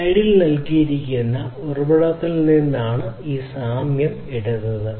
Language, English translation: Malayalam, So, this analogy has been taken from the source that is given on the slide